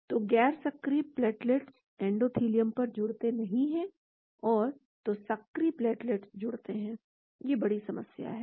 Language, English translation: Hindi, So, non activated platelets do not adhere to the endothelium , so activated platelets adhere, that is the big problem